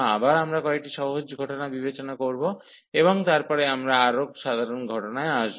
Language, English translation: Bengali, Again we will consider a some simple cases and then later on we will come to the more general cases